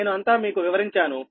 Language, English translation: Telugu, i have explained everything